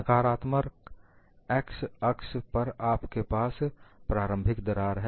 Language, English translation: Hindi, On the negative x axis, you have the initial crack